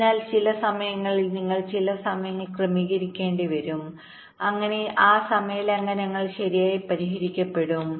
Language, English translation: Malayalam, so you may have to adjust the timing in some in some way so that those timing violations are addressed right